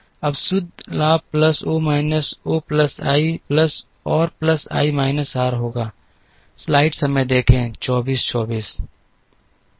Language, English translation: Hindi, Now, the net gain will be plus O minus O plus i plus r plus i minus r